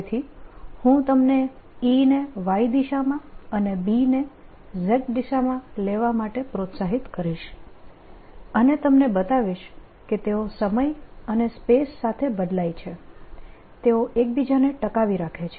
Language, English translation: Gujarati, so i am going to motivate you by taking e in the y direction and b in the z direction and show you that if they vary with time and space, they can sustain each other